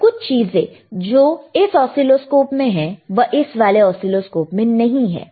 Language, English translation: Hindi, But there are a few things in this oscilloscope which this one does not have